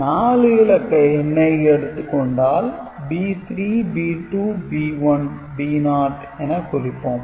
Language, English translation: Tamil, So, 4 digit numbers B 3, B 2, B 1 and B naught ok